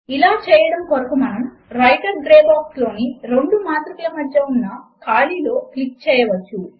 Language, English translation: Telugu, To do this, we can simply click between the gap of these two matrices in the Writer Gray box